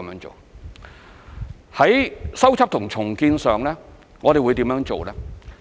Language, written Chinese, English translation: Cantonese, 在修葺和重建上，我們會怎樣做呢？, In terms of repair and rebuilding what will we do?